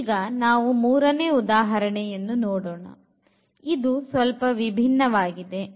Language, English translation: Kannada, Now, we will go to the third example which is again slightly changed